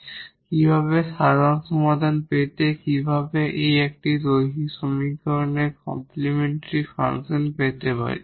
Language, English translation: Bengali, So, how to get the general solution, how to get the complementary function of this a linear equation